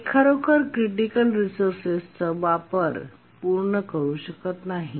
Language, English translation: Marathi, It cannot really complete its uses of the critical resource